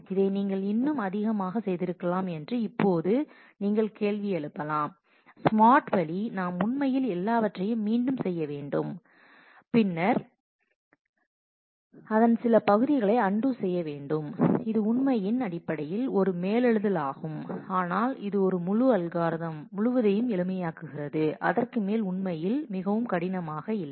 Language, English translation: Tamil, Now you can question that this could have been done in a more smart way, do we really need to redo everything and then undo some parts of that, that is a override in terms of that which is true, but this just makes the whole algorithm simple and over it actually is not very hard